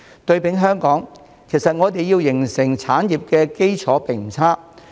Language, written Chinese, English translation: Cantonese, 對比香港，其實我們要形成產業的基礎並不差。, Meanwhile in Hong Kong we do have a sound foundation in place for developing such an industry